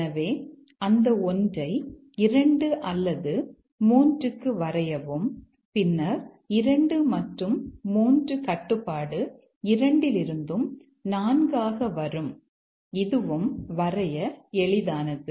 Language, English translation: Tamil, So, drawn that 1 to either 2 or 3 and then from both two and three control comes to four